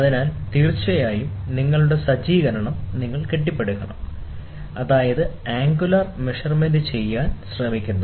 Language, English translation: Malayalam, So, of course, you have to build up your setup, such that you try to measure the angular one